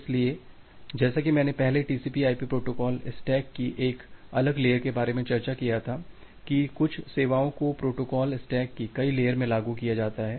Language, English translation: Hindi, So, as I as I discussed earlier during the discussion of a different layer of the TCP/IP protocol stack, that certain services are implemented in multiple layers of the protocol stack